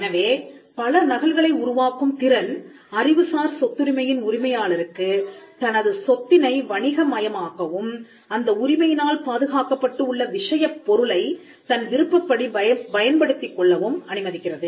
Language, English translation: Tamil, So, the ability to create multiple copies allows the intellectual property right owner to commercialize and to exploit the subject matter covered by intellectual property